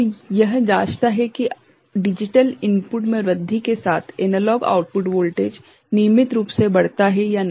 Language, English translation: Hindi, So, it checks if analog output voltage increases regularly with the increase in digital input